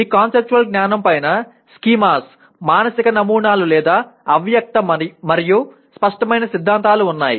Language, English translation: Telugu, On top of that conceptual knowledge includes schemas, mental models, or implicit and explicit theories